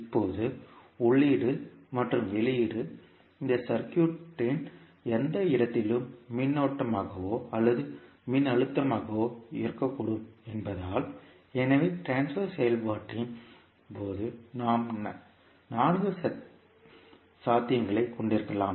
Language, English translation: Tamil, Now, since the input and output can either current or voltage at any place in this circuit, so therefore, we can have four possibilities in case of the transfer function